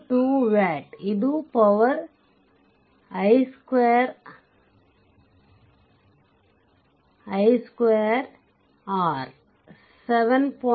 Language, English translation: Kannada, 2 watt, right, this is the power i square r 7